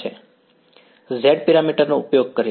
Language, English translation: Gujarati, Using Z parameter